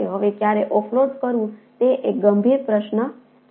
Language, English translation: Gujarati, now, when to offload is ah again a a serious question